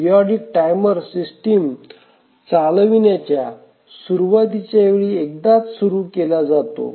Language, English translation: Marathi, The periodic timer is start only once during the initialization of the running of the system